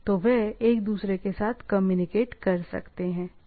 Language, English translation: Hindi, So, they can communicate with each other, right